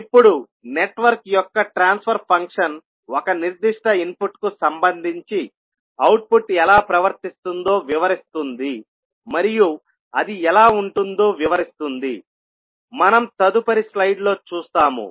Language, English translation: Telugu, Now, the transfer function of the network describes how the output behaves with respect to a particular input, and how it will have, we will see in the next slide